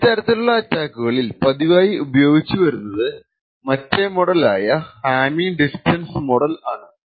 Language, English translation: Malayalam, The other model that is quite often followed in these kind of attacks is known as the hamming distance model